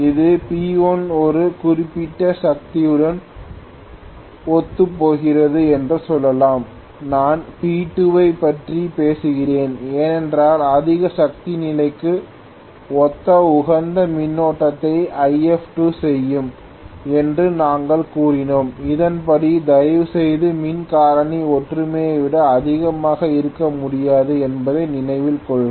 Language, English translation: Tamil, Let us say this corresponds to P1 a particular power, if I am talking about P2 we said If2 will the optimum current corresponding to the higher power condition then correspondingly please note the power factor cannot be greater than unity